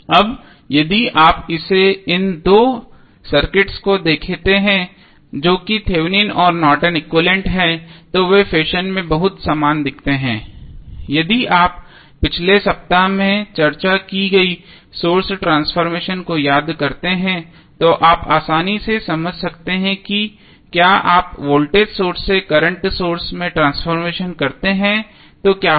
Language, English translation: Hindi, Now, if you see this these two circuits that is Thevenin and Norton's equivalent they looks very similar in the fashion that if you recollect the source transformation what we discussed in previous week so you can easily understand that if you carry out the source transformation from voltage source to current source what will happen